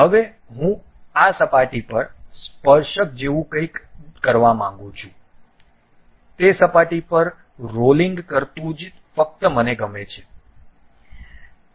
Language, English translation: Gujarati, Now, I would like to have something like tangent to this surface, rolling on that surface only I would like to have